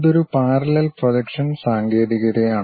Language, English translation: Malayalam, And it is a parallel projection technique